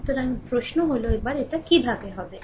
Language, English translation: Bengali, So now, question is that ah ah how to make it